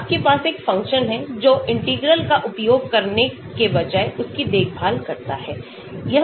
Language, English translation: Hindi, So, you have function which take care of that, rather than using integrals